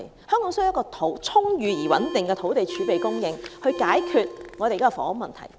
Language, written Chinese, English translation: Cantonese, 香港需要充裕而穩定的土地儲備供應，才能解決現時的房屋問題。, An ample and stable land reserve is needed to solve the existing housing problem